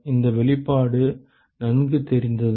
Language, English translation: Tamil, Does this expression look familiar